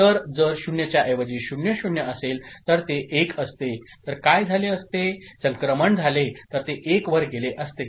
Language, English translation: Marathi, So, if it is 0 0, instead of 0, if it was 1 ok, then what would have been the case, the transition, it would have moved to 1